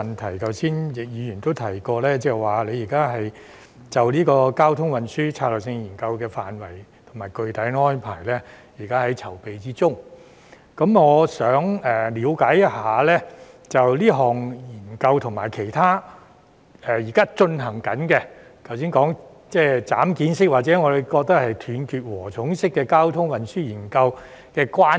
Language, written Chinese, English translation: Cantonese, 正如剛才易議員也提及，政府正制訂《交通運輸策略性研究》的範圍和具體安排，我想了解一下，這項研究與其他正進行的研究——例如剛才陳議員說的"斬件式"或我們認為是"斷截禾蟲式"交通運輸研究——有何關係？, As indicated by Mr YICK just now the Government is formulating the scope and the detailed arrangements for the traffic and transport strategy study . May I know the relationship between this study and other studies that are being undertaken such as traffic and transport studies which Mr CHAN has just referred to as piecemeal or we consider patchy?